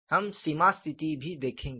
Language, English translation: Hindi, We have to look at the boundary conditions